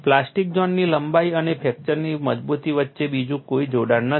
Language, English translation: Gujarati, There is no other correction between plastic zone length and fracture toughness